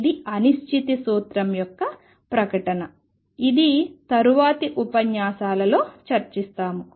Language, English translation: Telugu, This is a statement of uncertainty principle which will come back to in later lectures